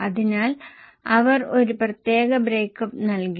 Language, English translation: Malayalam, So, they have given a particular breakup